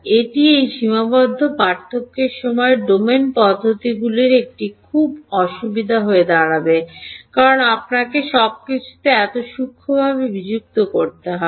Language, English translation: Bengali, This is also it will turn out to be quite a disadvantage of these finite difference time domain methods because you have to discretized everything so finely